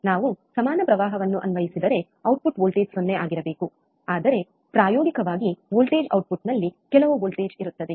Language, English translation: Kannada, If we apply equal current, output voltage should be 0, but practically there exists some voltage at the output